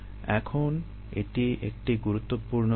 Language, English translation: Bengali, ok, this is an important concept now